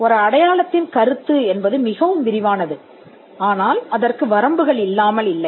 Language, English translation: Tamil, The concept of a sign is too broad, but it is not without limits